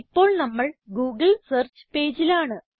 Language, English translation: Malayalam, We are now in the google search page